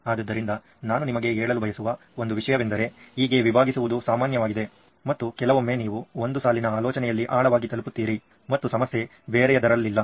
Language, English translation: Kannada, So one thing I would like to tell you is that this branching is common it’s done and sometimes you reach levels deeper in one line of thinking and not in another problem